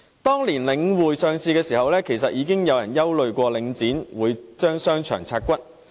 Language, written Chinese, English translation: Cantonese, 當年領匯上市時，已經有人憂慮領匯會將商場"拆骨"。, Back then when The Link REIT was listed some people were already concerned that it would parcel out its shopping centres